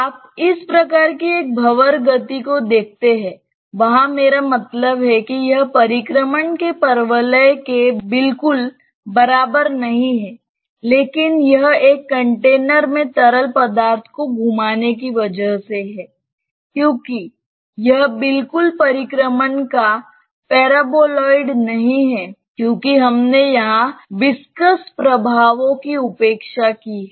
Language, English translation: Hindi, You see that it is you see the this type of a vortex motion that is there you I mean not exactly a paraboloid of revolution, but it is by rotating the fluid in a container; why it is not exactly a paraboloid of revolution is because we have neglected here the viscous effects